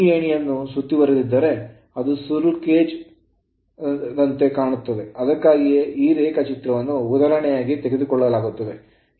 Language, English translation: Kannada, And if you enclose this ladder it will look like a squirrel cage that is why these example is this diagram is taken